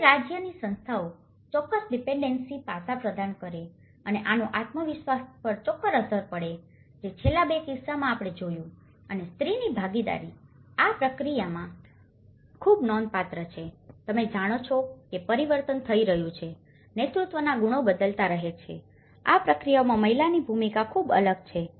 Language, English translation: Gujarati, Whereas the state institutions provide certain dependency aspect and this definitely have an impact on the self esteem which in the last two cases, which we have seen and participation of women is very significant in this process, you know the change is happening, the leadership qualities are changing, the role of women is very different in this process